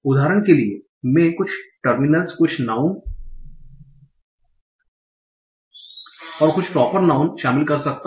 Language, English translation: Hindi, So for example, I can include some determiners, some nouns and some proper nouns